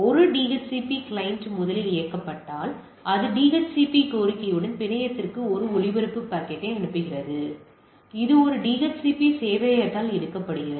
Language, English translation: Tamil, When a DHCP client is first switched on it sends a broadcast packet to the network with a DHCP request, there is a picked up by a DHCP server